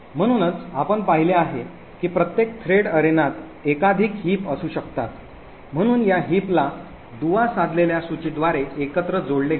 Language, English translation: Marathi, So as we have seen before each thread arena can contain multiple heaps, so these heaps are linked together by linked list